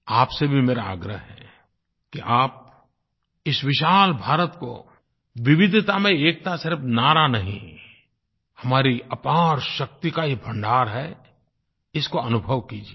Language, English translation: Hindi, I request you too, to feel the "Unity in Diversity" which is not a mere slogan but is a storehouse of enormous energy